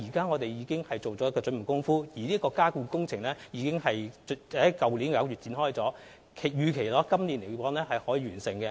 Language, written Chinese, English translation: Cantonese, 我們已做好準備工夫，而加固工程已於去年9月展開，預期可於今年內完成。, The underpinning works already commenced last September after making the necessary preparation and scheduled for completion within this year